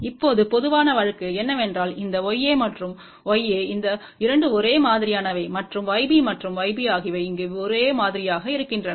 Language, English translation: Tamil, Now the general case is that this Y a and Y a these 2 are same and Y b and Y b are same over here